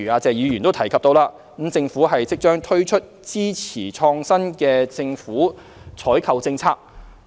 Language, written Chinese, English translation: Cantonese, 謝議員剛才提及，政府即將推出支持創新的政府採購政策。, Mr TSE mentioned that the Government would soon launch a government procurement policy to support innovation